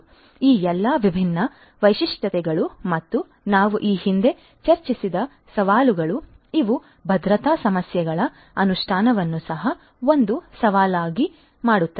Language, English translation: Kannada, So, all these different features and the challenges that we have discussed previously, these will also make the implementation of security issues a challenge